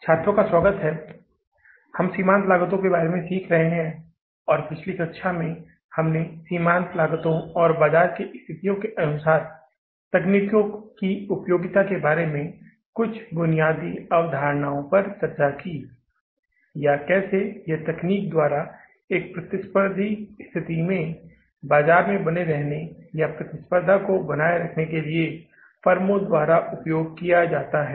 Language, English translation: Hindi, And in the previous class, we discussed something, the basic concepts about the marginal costing and usefulness of this technique of costing that in what kind of the market situations or a competitive situation, this technique can be used by the firms to stay in the market or to sustain the competition